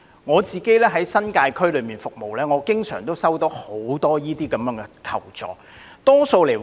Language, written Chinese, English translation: Cantonese, 我在新界區服務，經常接獲眾多類似的求助要求。, In the course of my services in the New Territories region I often receive many similar requests for assistance